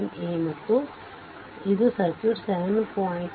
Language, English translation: Kannada, 7 a 7 a and this is circuit 7 b